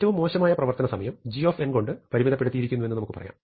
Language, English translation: Malayalam, So, we can say that worst running time is upper bounded by g of n